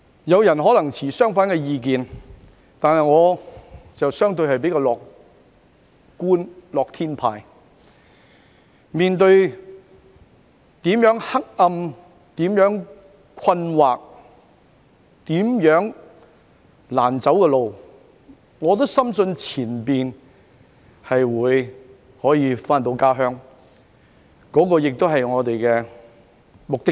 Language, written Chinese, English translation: Cantonese, 有人可能持相反意見，但我是相對較樂觀的樂天派，面對多麼黑暗、困惑和難走的路，也深信前路可以回到家鄉。這亦是我們的目的地。, Perhaps some people may hold the opposite view but I am a happy - go - lucky person who is relatively more optimistic . No matter what a dark perplexing and tough way I face I am deeply convinced that the path ahead can take me back to the hometown which is also our destination